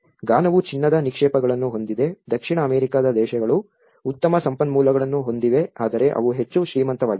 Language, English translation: Kannada, Ghana have the gold reserves the South American countries have good resource but they are not very rich